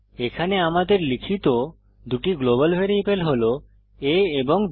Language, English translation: Bengali, Here we have declared two global variables a and b